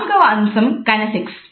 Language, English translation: Telugu, The fourth is Kinesics